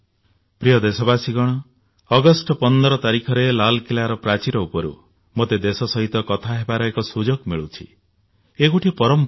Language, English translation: Odia, Dear countrymen, I have the good fortune to talk to the nation from ramparts of Red Fort on 15thAugust, it is a tradition